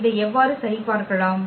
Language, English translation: Tamil, How to check this